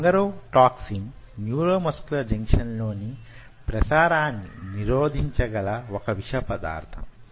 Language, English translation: Telugu, so bungarotoxin is a toxin which will block the transmission in the neuromuscular junction